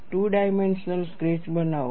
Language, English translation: Gujarati, Make a two dimensional sketch